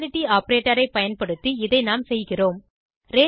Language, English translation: Tamil, We do this using (===) the equality operator